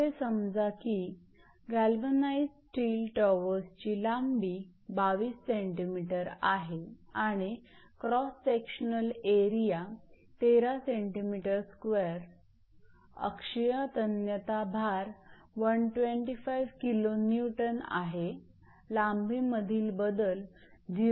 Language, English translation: Marathi, Suppose a galvanized steel towers meant your tower member has original length of 22 centimeter and cross sectional area 13 centimeter square with working axial tensile load of 125 kilo Newton, the change in length was 0